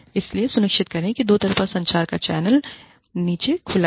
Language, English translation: Hindi, So, make sure, that the channel of two way communication, is open down